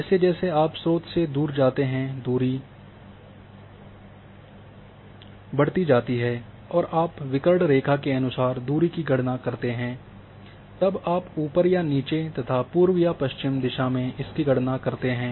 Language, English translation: Hindi, As you go away from the source the distance increases when you go diagonally accordingly the diagonally the distance has been calculated you go up and down or east west the distances are calculated